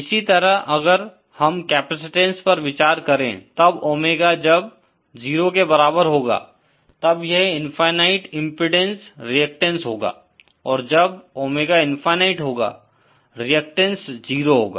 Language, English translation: Hindi, Similarly if we consider capacitance, then for Omega is equal to 0, it will be infinite impedance reactance and for omega is equal to Infinity, reactance will be 0